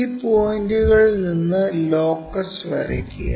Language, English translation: Malayalam, Then draw locus from these points